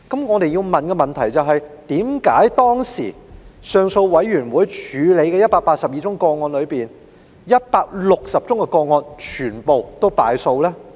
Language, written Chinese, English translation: Cantonese, 我想提出的問題是，為甚麼當時行政上訴委員會處理的182宗個案中，已作裁決的160宗個案全部敗訴。, Why is it that of the 182 cases handled by the Administrative Appeals Board AAB 160 cases on which rulings had been handed down were all dismissed?